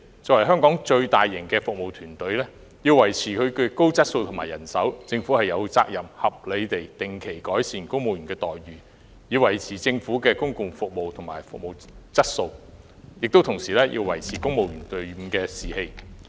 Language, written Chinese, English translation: Cantonese, 作為香港規模最龐大的服務團隊，要維持公務員高質素的服務和充足的人手，政府有責任定期合理地改善公務員的待遇，以維持政府的服務提供和質素，亦同時保持公務員隊伍的士氣。, It is incumbent upon the Government to improve reasonably the remuneration package for civil servants on a regular basis in order to maintain their high quality of service and adequate manpower strength of the civil service as the largest service team in Hong Kong while maintaining its morale